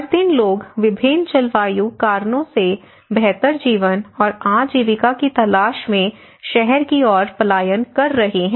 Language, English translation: Hindi, Every day people are migrating to the city looking for a better life and livelihood for various climatic reasons